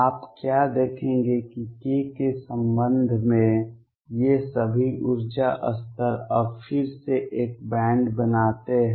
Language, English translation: Hindi, What you will see that all these energy levels now with respect to k again form a band